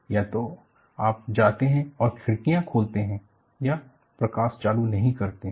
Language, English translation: Hindi, Either, you go and open the windows, do not switch on the light